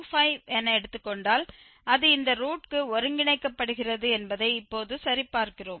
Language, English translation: Tamil, 25 and we check now that it is converging to this root